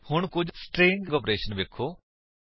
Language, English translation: Punjabi, Let us look at a few string operations